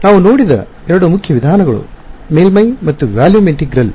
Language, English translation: Kannada, Two main methods that we have seen are surface and volume integrals